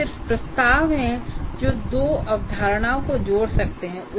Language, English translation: Hindi, These are just propositions that can link two concepts